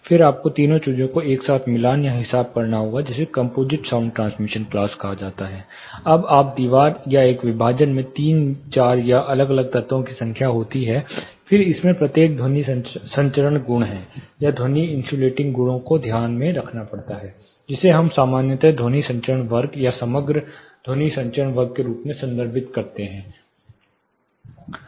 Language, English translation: Hindi, Then you have to tally or account for all the three things together, which is referred as composite sound transmission class, when you have three four or n number of different elements across the wall or a partition, then each of it is sound transmission properties, or sound insulating properties have to be accounted, which we commonly refer as sound transmission class or composite sound transmission class of a particular partition